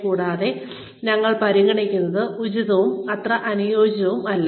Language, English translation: Malayalam, And, what we consider, as appropriate, and not so appropriate